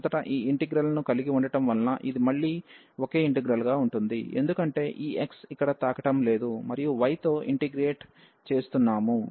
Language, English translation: Telugu, So, having this integral first this again a single integral, because this x we are not touching here, we are integrating with respect to y